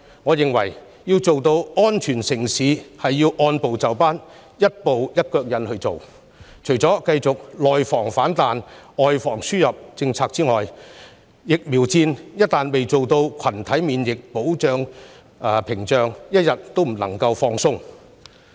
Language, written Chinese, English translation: Cantonese, 為了讓香港成為安全城市，我認為政府要按部就班，除了繼續實施"外防輸入、內防反彈"的政策外，還要築起群體免疫屏障，一天都不能夠鬆懈。, In order to make Hong Kong a safe city I think the Government must proceed step by step . In addition to continuing with the policy of guarding against the importation of cases and the resurgence of domestic infections the Government must also build a herd immunity barrier . It cannot be caught off guard for a day